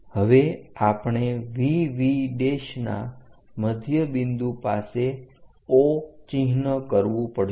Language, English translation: Gujarati, Now we have to mark O at midpoint of VV prime